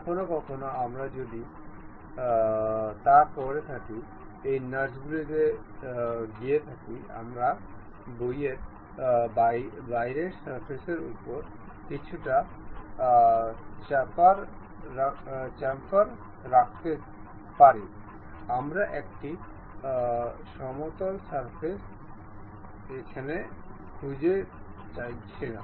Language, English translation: Bengali, Sometimes what we do is on these nuts, we would like to have a little bit chamfer on the outer surface, we do not want a flat surface